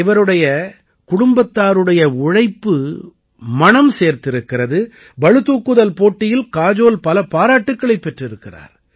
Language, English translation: Tamil, This hard work of hers and her family paid off and Kajol has won a lot of accolades in weight lifting